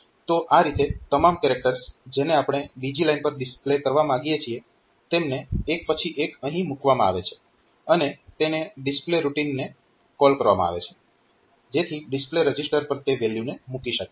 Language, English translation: Gujarati, So, this way all the character that we want to display on the second line so, they are put on one after the other and this correspond the display routine is called so, that it will be putting that value on to the display register and at the end